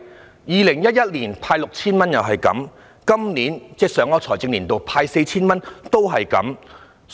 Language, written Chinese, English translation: Cantonese, 在2011年派發 6,000 元時如是，在上一個財政年度派發 4,000 也如是。, That was the situation when the Government handed out 6,000 in 2011; and the same situation recurred when 4,000 was handed out in the last financial year